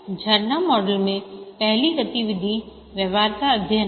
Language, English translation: Hindi, The first activity in the waterfall model is the feasibility study